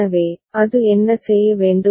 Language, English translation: Tamil, So, what should it do